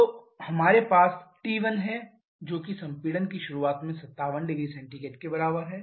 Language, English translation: Hindi, So, we have T 1 that is at the beginning of compression to be equal to 57 degree Celsius